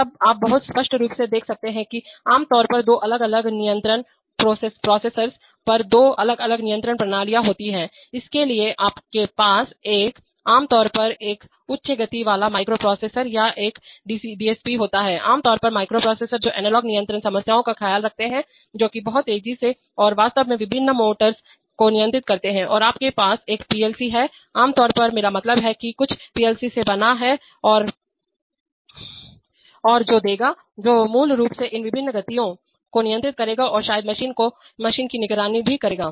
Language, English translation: Hindi, Then you can very clearly see that there are two different control systems usually on two different control processors, so you have a, generally have a high speed microprocessor or a DSP sometimes, generally microprocessors which take care of the analog control problems, which are much faster and actually control the various motors and you have a PLC, generally I mean gee fan or whatever I mean some make of PLC and which will give, which will basically control these various motions and maybe also monitor the machine